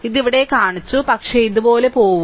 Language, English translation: Malayalam, I have shown it here, but go like this